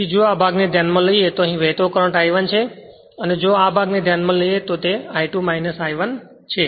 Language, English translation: Gujarati, So, current is flowing here is I 1 right and if you consider this part it is I 2 minus I 1 right